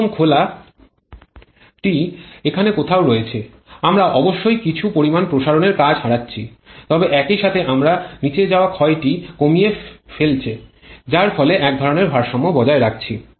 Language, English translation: Bengali, And the optimum opening is some here where we are of course losing some amount of expansion work but at the same time we are keeping the blowdown loss to smallest thereby getting some kind of trade off